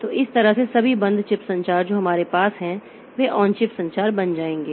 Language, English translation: Hindi, So, that way all the off chip communications that we have, so they will become on chip communication communication